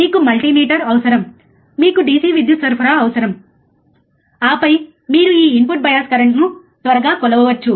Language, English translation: Telugu, You just need multimeter you just need DC power supply and then you can measure this input bias current quickly, right